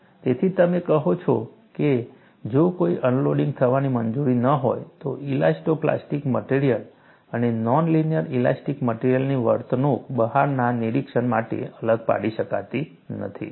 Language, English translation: Gujarati, So, you say, provided no unloading is permitted to occur, the behavior of an elasto plastic material and a non linear elastic material is indistinguishable to an outside observer